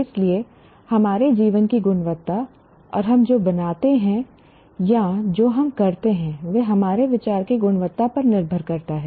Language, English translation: Hindi, So the quality of our life and what we produce, make or build, or what we do depends precisely on the quality of our thought